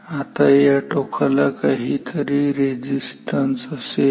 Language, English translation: Marathi, Now this lid will also have some resistance ok